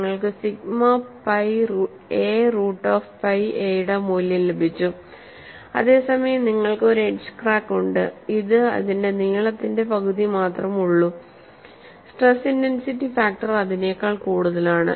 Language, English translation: Malayalam, In the case of a center crack, the crack length is 2a, you got the value of sigma pi a root of pi a, whereas you have an edge crack which is only half its length, the stress intensity factor is higher than that; it is again through the thickness crack